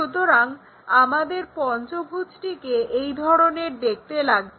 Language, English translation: Bengali, So, perhaps our pentagon looks in that way